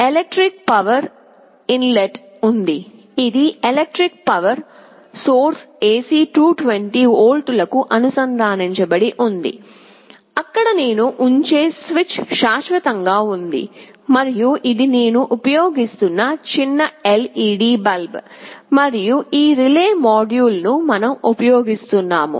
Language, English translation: Telugu, There is an electric power inlet, which is connected to an electric power source AC 220 volts, there is a switch which I am permanently putting as on, and this is a small LED bulb I am using, and this is the relay module that we are using